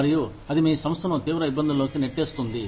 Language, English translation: Telugu, And, that can get your organization, into deep trouble